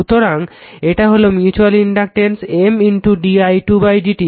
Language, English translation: Bengali, So, that is the mutual inductance M into d i 2 upon d t